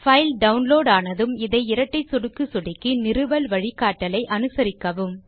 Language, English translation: Tamil, Once the file is downloaded, double click on it and follow the instructions to install